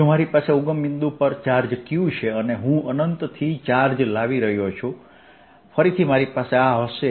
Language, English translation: Gujarati, also, if i have a charge q at the origin and i am moving, bringing a charge from infinity again, i'll have